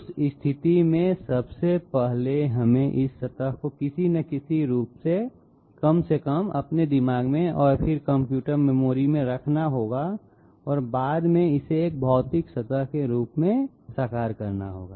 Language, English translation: Hindi, In that case 1st of all we have to have this surface in some form at least in our minds and then into the computer memory and then afterwards realising it as a physical surface